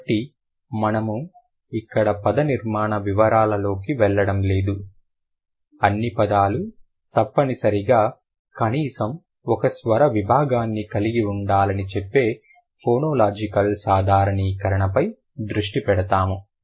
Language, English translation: Telugu, We will rather focus on the phonological generalization which says that all words must include at least one vocalic segment